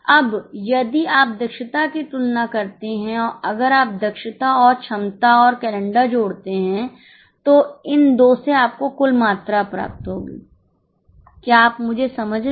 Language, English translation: Hindi, Now if you compare efficiency, if you compare efficiency, if you add efficiency plus capacity plus calendar, the total of these two will be your volume